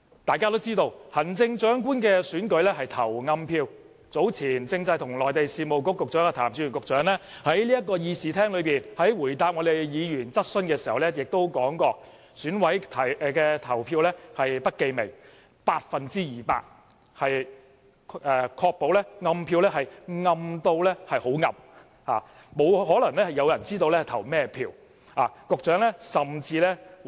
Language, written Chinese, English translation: Cantonese, 大家都知道行政長官的選舉是投"暗票"的，早前政制及內地事務局局長譚志源在立法會會議廳答覆議員質詢的時候亦指出，選委的投票是不記名，百分之二百能確保"暗票"是"很暗"的，沒有人有可能知道選委投了票給哪一位候選人。, We know that the Chief Executive Election shall be conducted in secret ballots . When Secretary for Constitutional and Mainland Affairs Raymond TAM answered a Members question in this Chamber earlier he pointed out that EC members would elect the Chief Executive by secret ballot and double efforts would be made to ensure that the Chief Executive Election by secret ballot would be conducted in a completely and absolutely secret manner so that no one would know which candidate each EC member had voted in support of